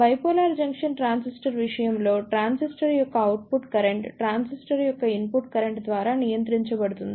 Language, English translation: Telugu, In case of Bipolar Junction Transistor, the output current of the transistor is controlled by the input current of the transistor